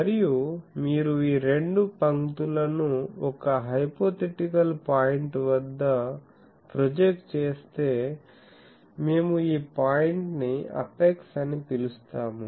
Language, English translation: Telugu, And, if you project these 2 lines they meet at a hypothetical point, we will call this apex of the horn this point